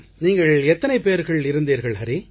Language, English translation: Tamil, Hari, how many of you were there